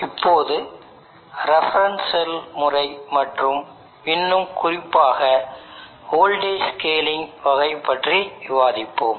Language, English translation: Tamil, Let us now discuss the reference cell method and more specifically the voltage scaling type